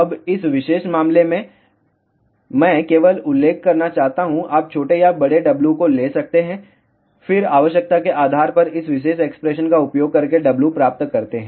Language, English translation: Hindi, Now, in this particular case I just want to mention, you can take smaller or larger W, then the W obtained by using this particular expression depending upon what is the requirement